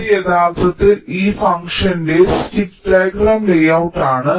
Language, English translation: Malayalam, so this is actually the stick diagram layout of this function